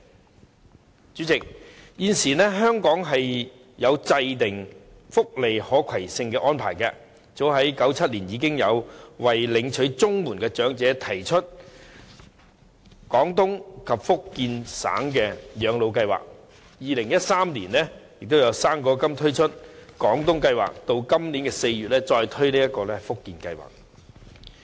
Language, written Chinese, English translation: Cantonese, 代理主席，現時香港制訂了福利可攜性的安排，早在1997年已為領取綜合社會保障援助的長者推出綜援長者自願回廣東省養老計劃，並於2013年就"生果金"推出廣東計劃，及至今年4月再推出福建計劃。, Deputy President Hong Kong has now formulated portability arrangements for welfare benefits . As early as 1997 the Portable Comprehensive Social Security Assistance Scheme was launched for elderly recipients of the Comprehensive Social Security Assistance and the Guangdong Scheme was introduced in 2013 for the fruit grant . In April this year the Fujian Scheme was rolled out